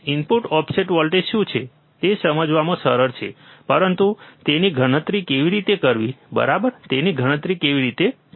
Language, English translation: Gujarati, Easy easy to understand what is the input offset voltage, but how to calculate it, right how to calculate it